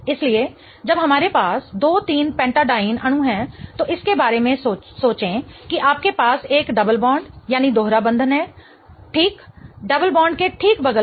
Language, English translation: Hindi, So, when we have a two three pentadine molecule, think of it, you have a double bond right next to the double bond right